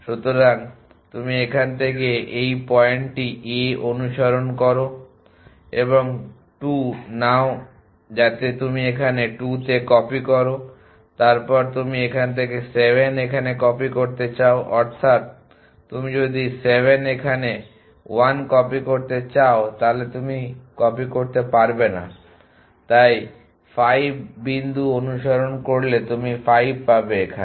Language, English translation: Bengali, So, you follow this point a from here and take 2 so you copy to 2 here then you want to copy 7 here from here that is if you copy 7 here 1 you cannot copy so if follow the point at to 5 and you get 5 here